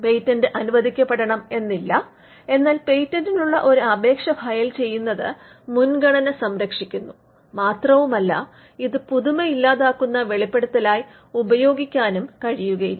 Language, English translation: Malayalam, It is not necessary that the patent should be granted, but filing an application preserves the priority and it cannot be used as a novelty killing disclosure